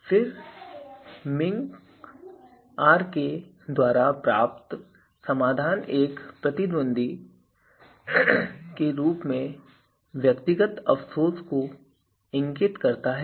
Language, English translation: Hindi, Then solution obtained by min k Rk here this indicates minimum individual regret of an opponent